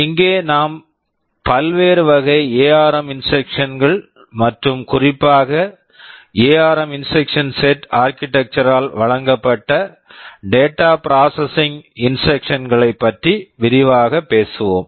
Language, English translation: Tamil, Here we shall be broadly talking about the various categories of ARM instructions and in particular the data processing instructions that are provided by the ARM instruction set architecture